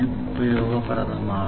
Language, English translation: Malayalam, 4 is useful